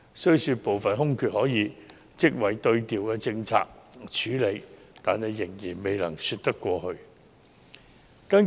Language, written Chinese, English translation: Cantonese, 雖說部分空缺可以職位對調政策處理，但仍然未能說得過去。, Although some of the vacancies could be filled through post swapping this is still implausible